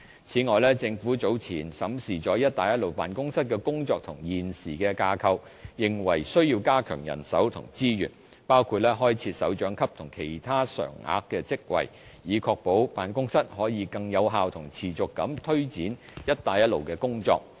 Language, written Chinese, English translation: Cantonese, 此外，政府早前審視了"一帶一路"辦公室的工作和現時的架構，認為需要加強人手和資源，包括開設首長級和其他常額職位，以確保辦公室可以更有效和持續地推展"一帶一路"的工作。, Moreover after reviewing the work and the existing set up of the Belt and Road Office earlier the Government considers it necessary to beef up the establishment and resources of the Office including the creation of directorate posts and other permanent posts to ensure that the Office can take forward the work under the Initiative more effectively on a long - term basis